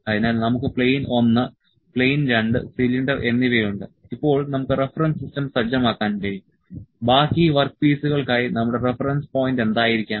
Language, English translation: Malayalam, So, we have plane one, plane two and cylinder now we can set the reference system here reference system that what should be our reference point for rest of the work piece